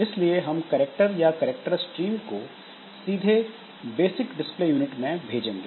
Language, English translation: Hindi, So, we will not send directly the characters to character stream to the basic display unit